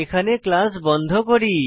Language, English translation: Bengali, Here we close the class